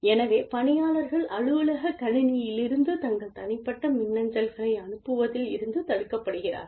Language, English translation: Tamil, So, preventing the employees, from sending personal email, from the office computer